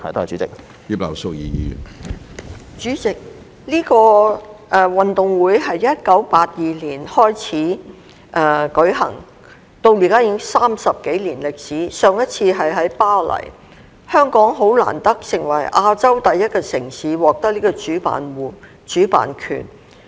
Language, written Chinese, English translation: Cantonese, 主席，這個運動會在1982年開始舉行，至今已經有30多年歷史，上一次是在巴黎舉行，香港很難得成為第一個獲得這個主辦權的亞洲城市。, President first held in 1982 the Gay Games have over 30 years of history . The last one was held in Paris . The opportunity for Hong Kong to be the first Asian city to host the games is hard to come by